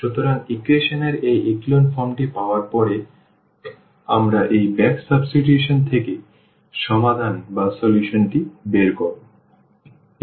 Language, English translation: Bengali, So, we get the solution out of this back substitution once we have this echelon form of the equation